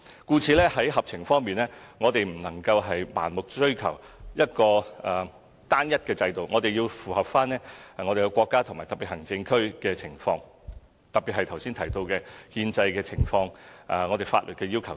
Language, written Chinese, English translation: Cantonese, 故此，在合情方面，我們不能盲目追求一個單一制度，而是要符合國家和特別行政區的情況，特別是剛才提到的憲制情況和法律要求等。, Hence being sensible means that we should not blindly pursue one single system . Instead we have to consider the circumstances of the State and SAR especially the requirements laid down by the Constitution and the laws as mentioned earlier on